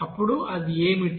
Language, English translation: Telugu, And then what is that